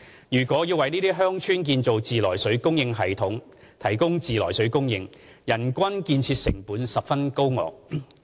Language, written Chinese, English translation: Cantonese, 如要為這些偏遠鄉村建造自來水供應系統提供自來水供應，人均建設成本十分高昂。, The per capita capital cost for the construction of treated water supply systems for these villages is very high